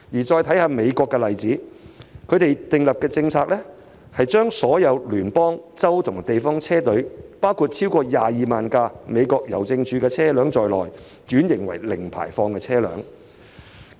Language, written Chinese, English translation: Cantonese, 再看美國的例子，當地訂立的政策是把所有聯邦、州及地方車隊，包括超過22萬輛美國郵政署的車輛，轉型為零排放的車輛。, Let us look again at the example of the United States US its policy requires all federal state and local fleets including more than 220 000 US Postal Services vehicles to be converted to zero - emission vehicles